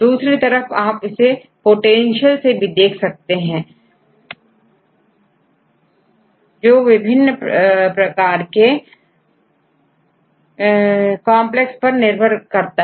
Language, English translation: Hindi, So, and the other hand you can do with the potential also, depending upon the different types of complexes